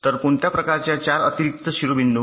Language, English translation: Marathi, so what kind of four additional vertices